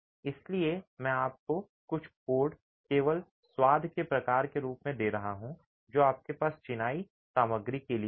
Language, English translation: Hindi, So, I'm giving you a few codes only as a flavor to the type of codes that you have for masonry materials